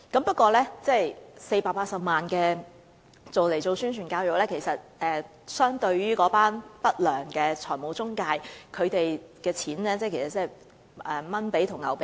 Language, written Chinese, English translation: Cantonese, 不過，擬用於宣傳教育的480萬元相對於不良財務中介所賺取的金錢，可謂"小巫見大巫"。, But the 4.8 million intended for publicity and education uses is literally no match for the profits made by unscrupulous financial intermediaries